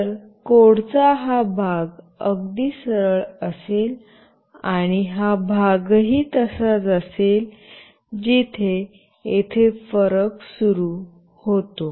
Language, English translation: Marathi, So, this part of the code will be fairly the straightforward, and this part as well will be the same, where the difference starts is here